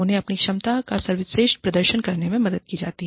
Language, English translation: Hindi, They are helped to perform, to their best potential